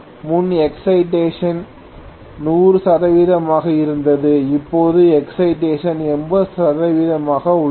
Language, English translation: Tamil, Previously excitation was 100 percent, now excitation is 80 percent